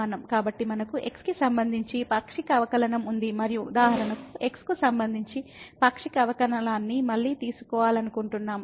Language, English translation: Telugu, So, we have the partial derivative with respect to x and for example, we want to take again the partial derivative with respect to